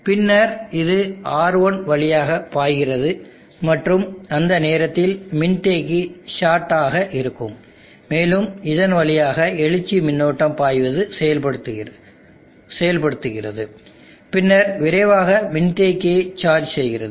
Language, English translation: Tamil, And then it flows through R1 and capacitor is a short during at time enables such current of flow through it and then quickly charges of the capacitor